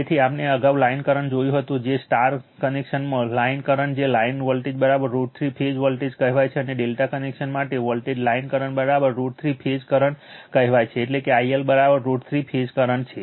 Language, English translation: Gujarati, So, line current earlier we saw star connection your line will your what you call your line voltage is equal to root 3 line phase voltage and for delta connector, volt line current is equal to your what you call going to that that is, your root 3 times phase current